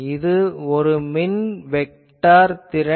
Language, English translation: Tamil, So, this is the electric vector potential